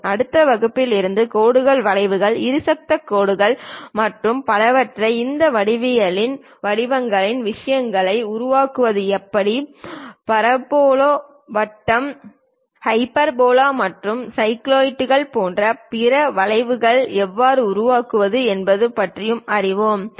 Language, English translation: Tamil, In the next class onwards we will learn about how to draw lines curves, bisector lines and so on how to utilize these instruments to construct geometrical things, how to construct common conic sections like parabola, circle, hyperbola and other curves like cycloids and so on